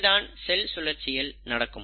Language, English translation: Tamil, So what is cell cycle